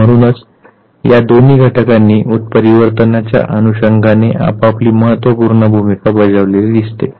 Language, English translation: Marathi, And therefore, both these factors they played their own significant role as far as mutation is concerned